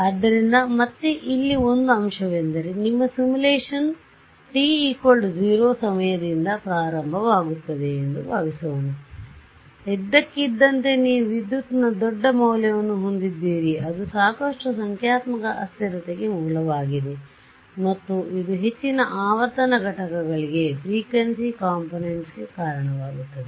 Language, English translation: Kannada, So, again here is a factor suppose your simulation starts at time t is equal to 0 suddenly you have a very large value of current right that is a source for a lot of numerical instability, and this will give rise to higher frequency components right